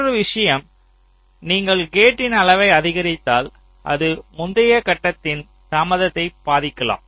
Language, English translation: Tamil, and another point is that if you increase the size of the gate, it may also affect the delay of the preceding stage